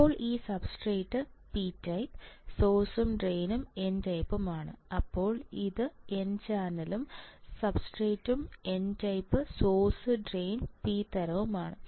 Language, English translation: Malayalam, Now this substrate P type source and drain are n type, then this n channel and the substrate is n type right source and drain are of P type what does it mean